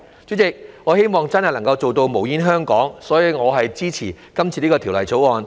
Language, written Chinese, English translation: Cantonese, 主席，我希望真的能做到"無煙香港"，所以我支持《條例草案》。, President I hope a smoke - free Hong Kong can truly be achieved so I support the Bill